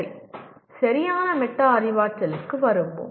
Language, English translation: Tamil, Okay, let us come to proper metacognition